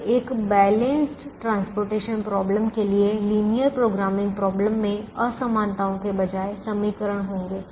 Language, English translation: Hindi, so the linear programming problem for a balanced transportation problem will have equations instead of inequalities